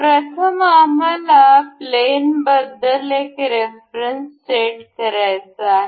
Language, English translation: Marathi, First one is we want to we have to set a reference about the plane